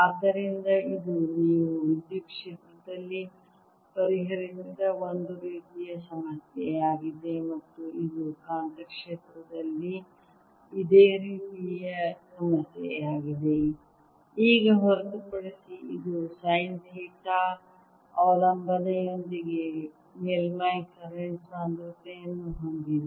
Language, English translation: Kannada, so this is a kind of problem that we solved in electric field and this is similar problem in the magnetic field, except that now it has a surface current density with sine theta dependence